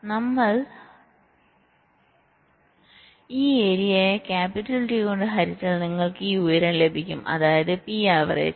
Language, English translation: Malayalam, so if we divide this area by capital t, you will be getting this height